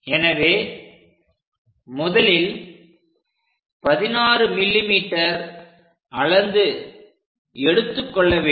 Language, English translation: Tamil, So, let us first of all mark 15 to 16 mm